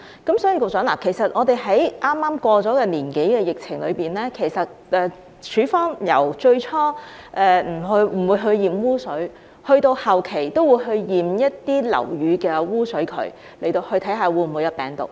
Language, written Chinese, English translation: Cantonese, 局長，在剛過去1年多的疫情中，署方由最初不檢驗污水，到後期會去檢驗一些樓宇的污水渠，以檢測是否存有病毒。, Secretary during the epidemic in the past year or so the department initially refused to examine the sewage but later it would inspect the sewers in some buildings to detect the presence of virus